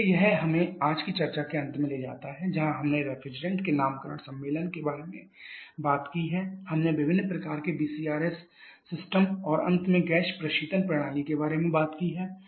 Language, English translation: Hindi, So, that takes us to the end of today's discussion where we have talked about the naming convention of the refrigerants we have talked about different kinds of VCRS system and finally the gas refrigeration system